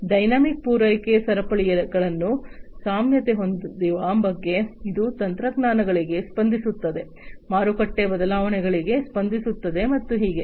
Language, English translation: Kannada, So, this is flexibility is about having dynamic supply chains, which are responsive to technologies, responsive to market changes, and so on